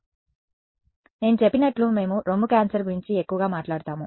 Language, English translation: Telugu, So, as I have said we will talk more about breast cancer right